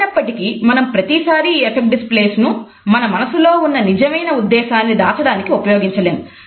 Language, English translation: Telugu, However, we cannot continuously use these affect displays to hide the true intention of our heart